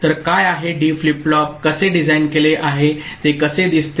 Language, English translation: Marathi, So, what is how D flip flop is designed, how does it look like